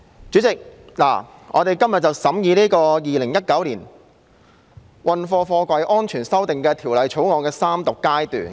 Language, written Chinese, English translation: Cantonese, 主席，現在進行《2019年運貨貨櫃條例草案》的三讀。, President we now proceed to the Third Reading of the Freight Containers Safety Amendment Bill 2019 the Bill